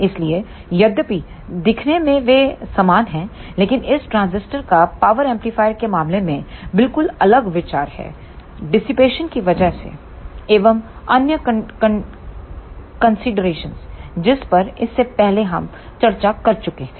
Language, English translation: Hindi, So, although in appearance they are similar, but the consideration of this transistor is quite different in case of power amplifier because of the dissipation and other considerations as we discussed earlier